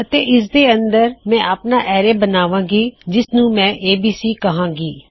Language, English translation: Punjabi, I will create my own array, which I will call ABC